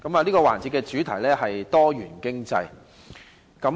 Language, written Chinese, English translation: Cantonese, 這個環節的主題是多元經濟。, Diversified Economy is the theme of this session